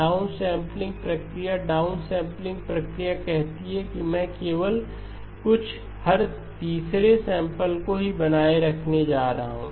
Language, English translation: Hindi, The down sampling process, down sampling process says that I am going to retain only a few every third sample